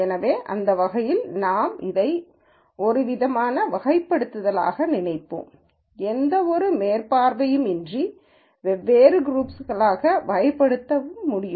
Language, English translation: Tamil, So, in that sense we would still think of this as some form of categorization which I could also call as classification into different groups without any super vision